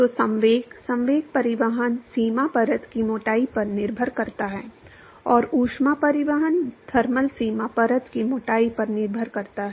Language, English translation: Hindi, So, the momentum, momentum transport depends upon the boundary layer thickness, and the heat transport depends upon the thermal boundary layer thickness